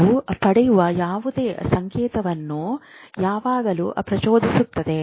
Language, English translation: Kannada, They will always excite whatever signal they get